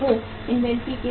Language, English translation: Hindi, Motives of inventory